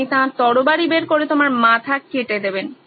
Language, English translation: Bengali, He takes his sword out, off goes your head